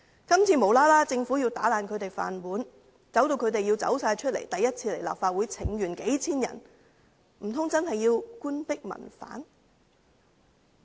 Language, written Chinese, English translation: Cantonese, 今次政府無故要打破他們的"飯碗"，迫使數千人首次前來立法會請願，難道真的要官逼民反？, This time the Government is going to break their rice bowls for no reason forcing thousands of them to go to the Legislative Council to stage a petition for the first time . Does it really want to drive the people into a revolt?